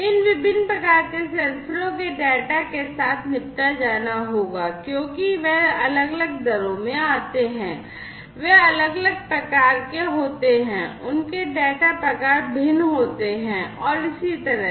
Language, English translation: Hindi, So, you know this heterogeneous say data from these different types of sensors will have to be dealt with, because they come in different rates, they are of different types their data types are different and so on